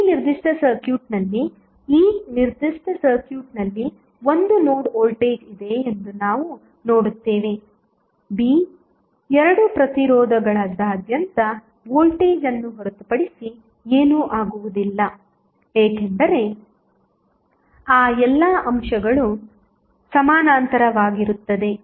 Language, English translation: Kannada, We will see that this particular circuit has 1 node the voltage across this particular circuit a, b would be nothing but the voltage across both of the resistances also because all those elements are in parallel